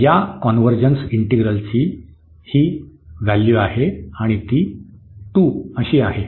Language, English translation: Marathi, So, that is the value of this integral this integral convergence and the value is 2